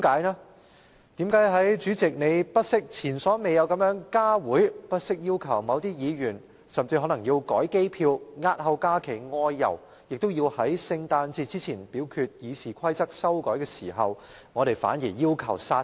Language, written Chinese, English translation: Cantonese, 為何在主席前所未有地不惜加開會議，甚至要求某些議員更改機票押後假期外遊，也要在聖誕節前表決修改《議事規則》的決議案之際，我們反而要求將之煞停？, Why? . At a time when the President has gone to great lengths even by such means as unprecedentedly convening additional meetings and requesting some Members to change their flight reservations to defer their trips outside Hong Kong during the holidays to ensure that the voting on the resolution to amend the RoP can take place before Christmas why are we going the opposite way by demanding that it be stopped in its track?